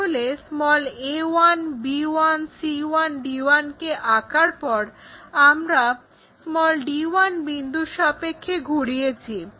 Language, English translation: Bengali, So, we have already after constructing this a 1, b 1, c 1, d 1 we rotate around d 1 point a 1, d 1